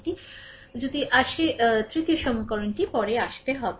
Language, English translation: Bengali, So, if you if you come to that third equation will come later